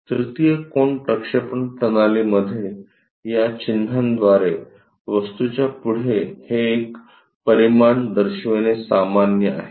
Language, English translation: Marathi, In 3rd angle projection system, it is quite common to show these dimensions